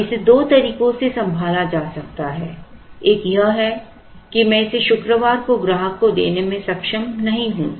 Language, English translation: Hindi, Now, this can be handled in two ways one is to say that well I am not able to deliver it to the customer on Friday